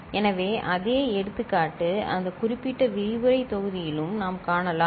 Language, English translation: Tamil, So, the same example, I mean we can see in that particular lecture module also